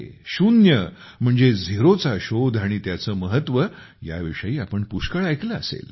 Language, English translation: Marathi, You must have heard a lot about zero, that is, the discovery of zero and its importance